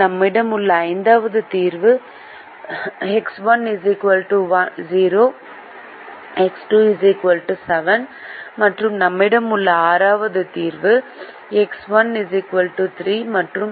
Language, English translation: Tamil, the fifth solution that we have is x one equal to zero, x two equal to seven, and the sixth solution that we have is x one equal to three and x two equal to four